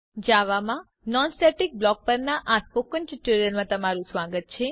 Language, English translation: Gujarati, Welcome to the Spoken Tutorial on Non static block in java